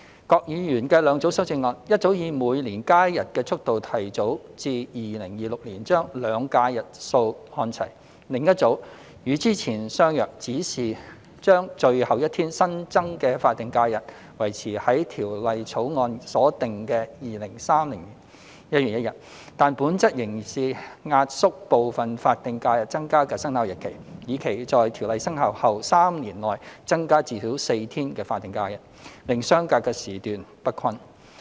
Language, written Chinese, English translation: Cantonese, 郭議員的兩組修正案：一組以每年加一日的速度，提早至2026年將"兩假"日數看齊；另一組與之前相若，只是將最後一天新增的法定假日維持在《條例草案》所訂的2030年1月1日，但本質仍是壓縮部分法定假日增加的生效日期，以期在《條例草案》生效後3年內增加至少4天法定假日，令相隔的時段不均。, Mr KWOK has proposed two sets of amendments one seeks to advance the year of alignment of the number of two types of holidays to 2026 at the pace of one additional day every year; the other one is similar to the previous one but seeks to maintain to the date of increasing the last additional SH on 1 January 2030 as stipulated in the Bill by essentially compressing the effective dates of other additional SHs with a view to increasing at least four SHs within the first three years after the Bill comes into operation thereby making the increment intervals uneven